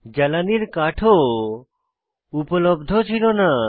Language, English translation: Bengali, Fuel wood was also unavailable